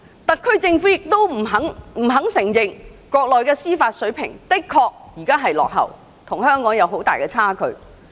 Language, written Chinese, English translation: Cantonese, 特區政府不肯承認，國內的司法水平現在仍然落後，與香港仍有很大差距。, The SAR Government simply refuses to admit that the Mainland is still far behind Hong Kong in terms of the administration of justice